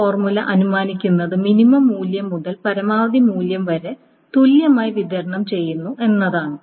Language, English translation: Malayalam, So this formula assumes that the values are distributed uniformly from the minimum value to the maximum value